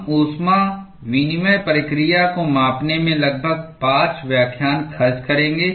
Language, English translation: Hindi, We will spend about 5 lectures in looking at quantifying heat exchanging process